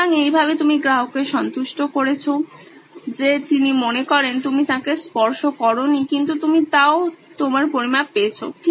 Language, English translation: Bengali, So, that way you are satisfying the customer that he thinks you have not touched him but you’ve still got your measurements